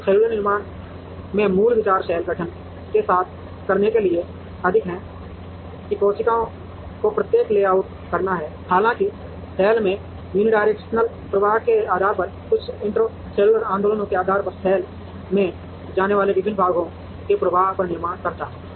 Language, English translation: Hindi, So, the basic ideas in cellular manufacturing is more to do with cell formation than to do with how to layout the cells; however, depending on the unidirectional flow in the cell, depending on some intracellular movements, depending on the flows of various parts that go in the cell